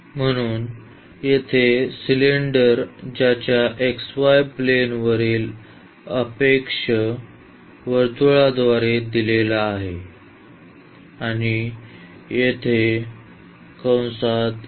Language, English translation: Marathi, So, the cylinder here whose objection on the xy plane is given by the circle and the center here is a by 2 and 0